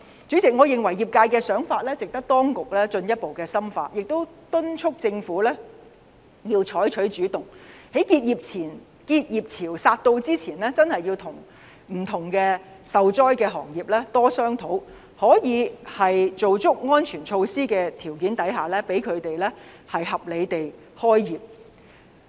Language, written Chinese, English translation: Cantonese, 主席，我認為業界的想法值得當局進一步深入考慮，亦敦促政府要採取主動，在結業潮來臨前跟不同受災行業多商討，可以在做足安全措施的條件下，讓他們合理地開業。, President I consider that the industrys proposal is worthy of further consideration and I urge the Government to take the initiative to discuss more with various hard - hit sectors before a new tide of closures comes with a view to allowing them to resume business in a reasonable way as long as they have taken the necessary safety measures